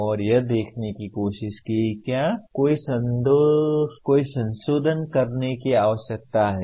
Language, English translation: Hindi, And tried to see whether any modifications need to be done